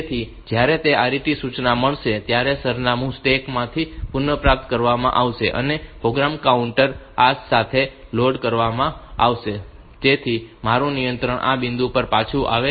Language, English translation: Gujarati, So, when it gets the RET instruction then from the stack these address, these address will be retrieved from the stack and the program counter will be loaded with this so that my control comes back to this point